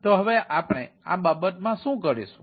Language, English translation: Gujarati, so in this case what we do